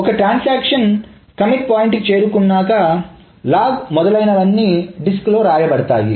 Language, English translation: Telugu, So if once a transaction reaches the commit point, the logs, et cetera, must be written on the disk